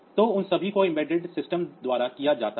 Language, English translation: Hindi, So, that these are the examples of embedded system